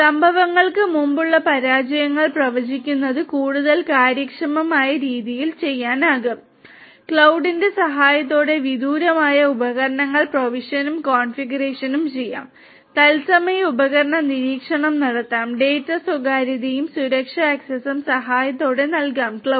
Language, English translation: Malayalam, Prediction of failures before occurrences can be done in a much more efficient and efficient manner, device provisioning and configuration can be done remotely with the help of cloud, real time device monitoring can be done, data privacy and security access can be provided with the help of cloud